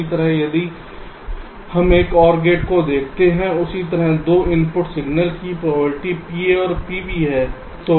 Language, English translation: Hindi, similarly, if we look at an or gate, same way: two inputs, the signal probabilities are pa and pb